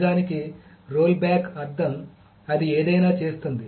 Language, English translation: Telugu, So the rollback actually meaning it does nothing